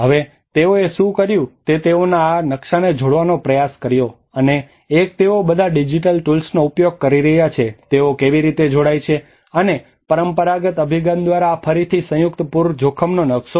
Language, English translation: Gujarati, Now what they did was they tried to combine this map and one is using all the digital tools how they combined and this is again a combined flood risk map by a traditional approach